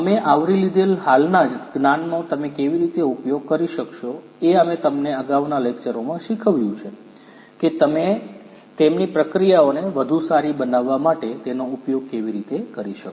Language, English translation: Gujarati, How you could use those existing knowledge that we have covered, we have taught you in the previous lectures how you could use them in order to improve their processes better